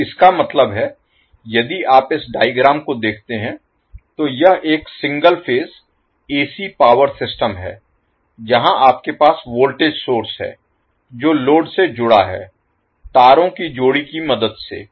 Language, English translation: Hindi, So, that means, if you see this particular figure, this is a single phase AC power system where you have voltage source connected to the load with the help of the pair of wires